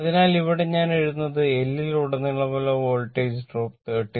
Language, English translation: Malayalam, So, here I am writing the Voltage drop across L is 39